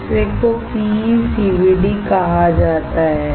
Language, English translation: Hindi, Second one is called PECVD